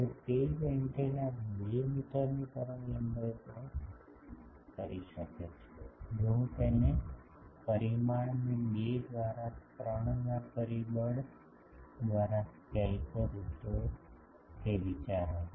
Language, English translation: Gujarati, Now the same antenna can do at 2 meter wavelength, if I scale its dimension by a factor of 2 by 3 that was the idea